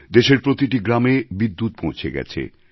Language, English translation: Bengali, Electricity reached each & every village of the country this year